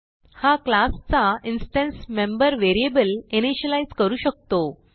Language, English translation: Marathi, It can initialize instance member variables of the class